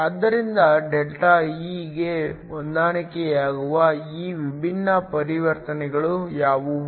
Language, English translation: Kannada, So, what are these different transitions that ΔE can correspond to